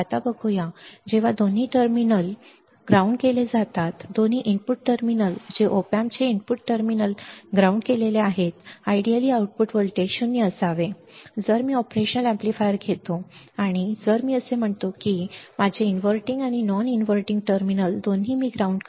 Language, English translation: Marathi, Let us see now when both the terminals both the input terminals are grounded both the input terminals of what both the input terminals of op amp both the input terminals of op amps are grounded ideally the output voltage should be 0 that is correct right, if I take the operation amplifier and if I say that my inverting and non inverting terminals both I am grounding both I am grounding the output voltage should be V o should be 0 correct this is what I am assuming because I have grounded this I have grounded this no voltage at the input output should be 0